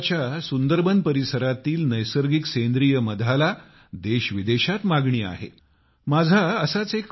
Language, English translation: Marathi, The natural organic honey of the Sunderbans areas of West Bengal is in great demand in our country and the world